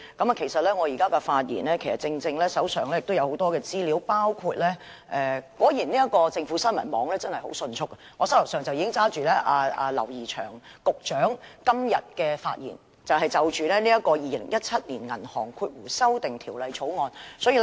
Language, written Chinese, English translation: Cantonese, 我手上也有很多資料，包括......政府新聞網果然很迅速，現時我手上已經拿着劉怡翔局長今天就《2017年銀行業條例草案》的發言稿。, I also have a lot of information on hand which includes The news website of the Government is quick indeed and I have already got the script of Secretary James Henry LAUs speech on the Banking Amendment Bill 2017 the Bill made today